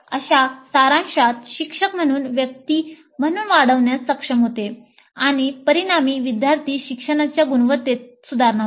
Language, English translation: Marathi, Such summarization enables the instructor to grow as a person and consequently leads to improvement in the quality of student learning